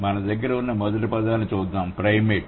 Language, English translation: Telugu, Let's look at the first word we have primate